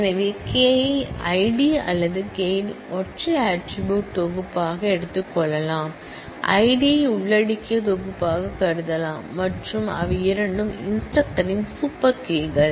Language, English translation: Tamil, So, K can be taken as a singleton set of attribute I D or K can be thought of as the set comprising I D and name both of them are super keys of instructor